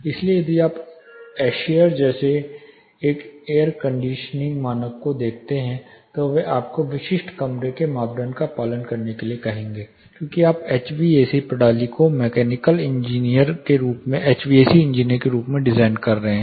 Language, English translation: Hindi, So, if you look at a air conditioning standard like ASHRAE they would ask you to adhere to certain room criteria, because your designing the HVAC system as a mechanical engineer as a HVAC engineer